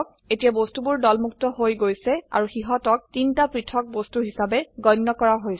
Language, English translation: Assamese, The objects are now ungrouped and are treated as three separate objects